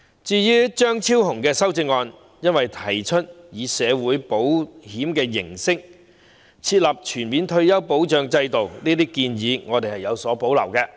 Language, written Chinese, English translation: Cantonese, 至於張超雄議員的修正案，由於他提出以社會保險形式設立全面退休保障制度，我們對這項建議有所保留，因此會投棄權票。, As for Dr Fernando CHEUNGs amendment since he proposes establishing a comprehensive retirement protection system in the form of social insurance about which we have reservations we will abstain on it